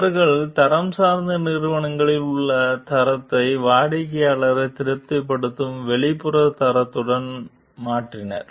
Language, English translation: Tamil, So, they replaced the internal standard of the quality oriented companies with an external standard of satisfying the customer